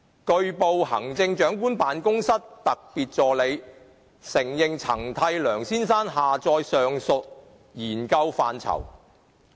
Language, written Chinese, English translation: Cantonese, 據報，行政長官辦公室特別助理承認曾替梁先生下載上述研究範疇。, It has been reported that the Special Assistant in the Chief Executives Office CEO admitted that she had downloaded the aforesaid areas of study for Mr LEUNG